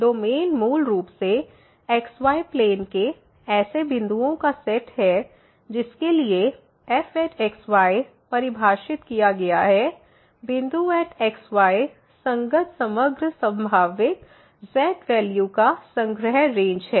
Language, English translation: Hindi, Domain is basically the set of points the x y plane for which is defined and the Range, Range is the collection of overall possible values of corresponding to the point